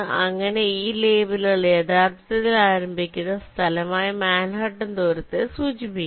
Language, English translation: Malayalam, so these labels indicate actually manhattan distance from the starting point s